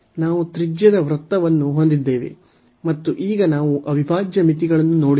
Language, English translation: Kannada, So, we have the circle of radius a and now if we look at the integral limits